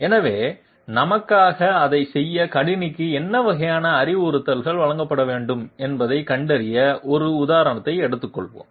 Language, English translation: Tamil, So let us take an example to find out what kind of instructions have to be given to the computer to do it for us